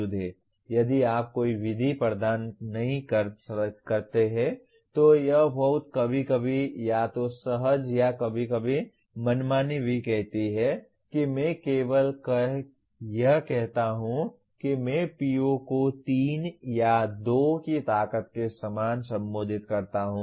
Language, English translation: Hindi, If you do not provide any method it is very very sometimes either intuitive or sometimes even arbitrary saying that I just merely say I address a PO to the strength of 3 or 2 like that